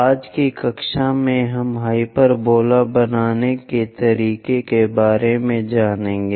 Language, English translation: Hindi, In today's class, we will learn about how to construct a hyperbola